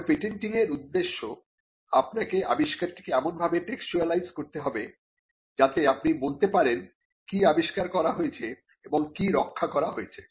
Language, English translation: Bengali, But for the purposes of patenting, you need to textualize the invention in a determined manner in such a way that you can convey what has been invented and what has been protected